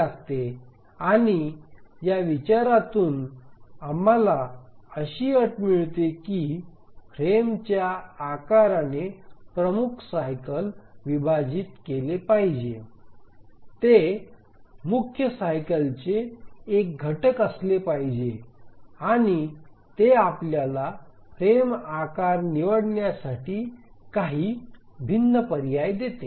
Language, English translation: Marathi, And from this consideration we get the condition that the frame size should divide the major cycle, it should be a factor of the major cycle, and that gives us only few discrete choices to select the frame size